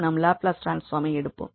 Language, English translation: Tamil, So, that will be the product of the Laplace transform